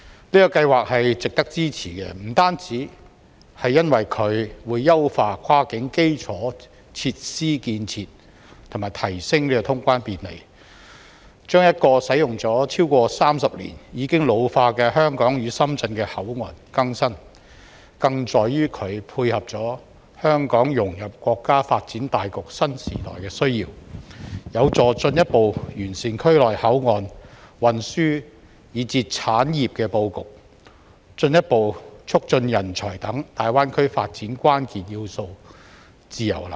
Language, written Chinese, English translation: Cantonese, 這項計劃值得支持，不單是因為它會優化跨境基礎設施建設及提升通關便利，把一個使用了超過30年、已經老化的香港與深圳的口岸更新，更在於它配合了香港融入國家發展大局新時代的需要，有助進一步完善區內口岸、運輸以至產業的布局，進一步促進人才等大灣區發展關鍵要素自由流動。, The plan is worth our support because it will optimize cross - boundary infrastructures and enhance the convenience of boundary clearance as well as renew the aged Hong KongShenzhen port which has been used for more than 30 years . Also the plan meets the need of Hong Kong to integrate into the countrys overall development in the new era and help further improve the ports transportation and distribution of industries in the region thereby further facilitating the free movement of talents which is one of the key factors to the development of the Greater Bay Area